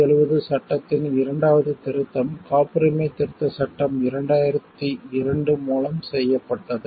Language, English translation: Tamil, The second amendment to the 1970 Act was made through the Patents Amendment Act of 2002